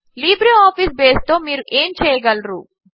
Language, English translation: Telugu, What can you do with LibreOffice Base